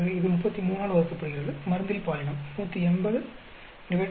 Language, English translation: Tamil, This divided by 33, gender into drug 180 divided by 33